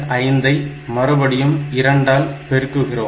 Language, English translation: Tamil, 5 is again multiplied by 2